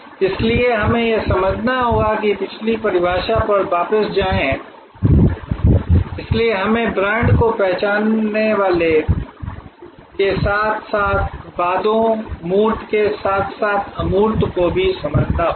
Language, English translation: Hindi, So, we have to understand therefore, go back to the previous definition, so we have to understand in brand the identifiers as well as the promises, the tangibles as well as the intangibles